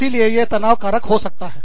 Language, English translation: Hindi, So, that can be a stressor